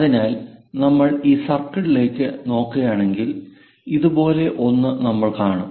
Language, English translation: Malayalam, So, if we are looking at it a circle, we will see something like in that way